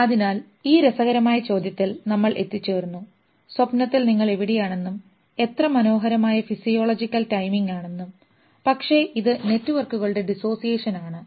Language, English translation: Malayalam, So, we left at this interesting question that where is your self in the dream and what beautiful physiological timing but there is the dissociation of networks probably